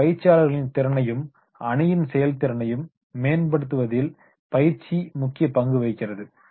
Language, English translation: Tamil, Training is directed at improving the trainer skills as well as the team effectiveness